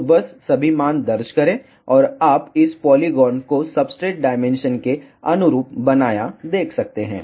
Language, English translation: Hindi, So, just enter all the values, and you can see this polygon created corresponding to the substrate dimension